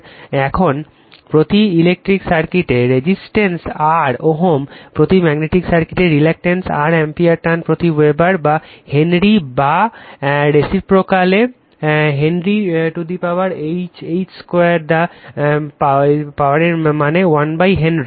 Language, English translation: Bengali, Now, resistance R ohm in electric circuit in per magnetic circuit, reluctance R ampere turns per Weber or Henry or your reciprocal right Henry to the power H 2 the power minus that means, 1 upon Henry right